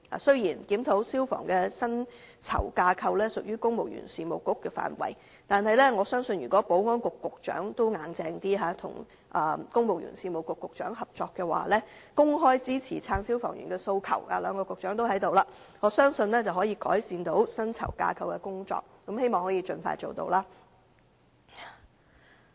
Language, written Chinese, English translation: Cantonese, 雖然消防員薪酬架構的檢討屬公務員事務局的範疇，但我相信，保安局局長如能採取堅定的態度，與公務員事務局局長商討及合作，公開支持消防員的訴求——兩位局長均在席——我相信可以改善薪酬架構，希望這工作可以盡快做到。, The review of the salary structure of firemen falls under the ambit of the Civil Service Bureau but I believe if the Secretary for Security can adopt a firm attitude in negotiating and cooperating with the Secretary for the Civil Service and openly support the firemens demand―both Secretaries are present―their salary structure can be improved . I hope this can be achieved as soon as possible . President today heavy sentences have been imposed on seven police officers who were provoked by rioters during Occupy Central